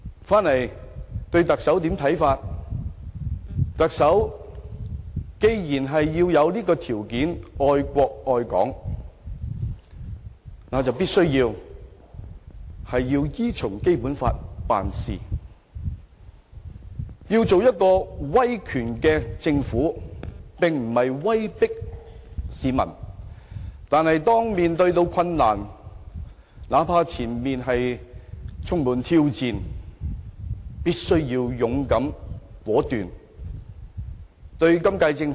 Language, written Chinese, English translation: Cantonese, 回到對特首的看法上，既然成為特首的條件是愛國愛港，便必須依循《基本法》辦事，要做一個威權政府，並非威迫市民。但是，當面對困難，哪怕前路充滿挑戰，也必須勇敢果斷。, Returning to my views concerning the Chief Executive I think given that the love for both the country and Hong Kong is made a prerequisite for being the Chief Executive it is imperative that the Chief Executive acts in accordance with the Basic Law and establish an authoritative administration which does not govern by threat of coercion but is brave and resolute enough to rise to all the challenges ahead no matter how difficult the situation may be